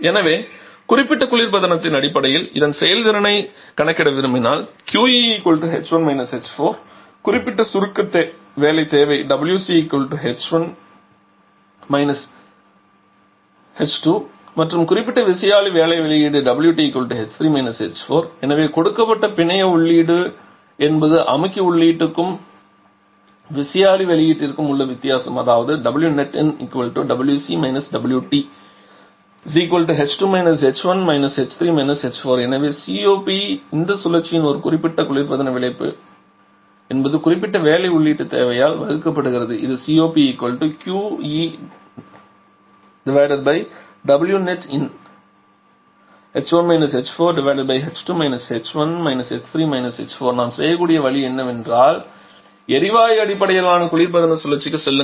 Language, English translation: Tamil, So, if we want to calculate the performance of this this Q dot E will be or okay if I write in per unit mass flow rate basis then specific refrigeration effect will be equal to h 1 h 4 specific compression work requirement will be equal to h 2 h 1 and specific turbine work output will be equal to h 3 – h 4 so network input given is the difference between the compressor input turbine out and the turbine output that is h 2 h 1 h 3 h 4 so COP of this cycle is a specific refrigeration effect by specific work input network input requirement which is h 1 h 4 by h 2 h 1 h 3 h 4